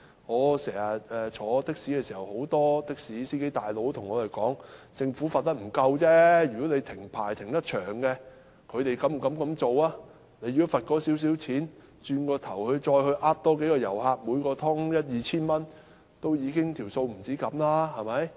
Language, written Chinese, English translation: Cantonese, 我乘的士的時候，很多的士司機對我說，政府的懲罰並不夠重，如果他們要長時間停牌，便不敢這樣做；若只是罰款了事，他們其後可再欺騙其他遊客，每次騙取一二千元，便可取回罰款的金額。, When I was travelling by taxi many taxi drivers told me that the Governments penalty was not heavy enough . No one would dare act in such a way if their licence would be suspended for a long period . If they were merely fined they could later deceive other tourists and recoup the amount of the fines by obtaining 1,000 or 2,000 deceptively each time